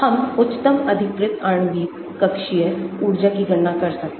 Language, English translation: Hindi, We can calculate highest occupied molecular orbital energy